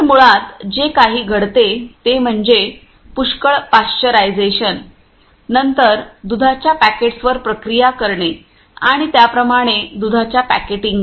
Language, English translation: Marathi, So, basically what happens is lot of pasteurisation then processing of the milk packets and so, on packeting of the milk and so, on that is what happens